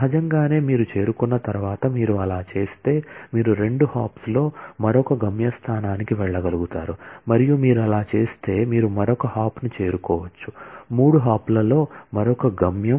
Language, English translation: Telugu, Naturally, once you reach, once you do that then you may be able to go to another destination in two hops and once you do that then, you may be able to reach another, yet another destination in three hops and so on